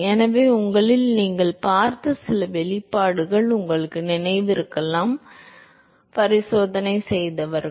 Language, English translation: Tamil, So, you may recall that some of the expression you may have seen in your; those who have done the experiments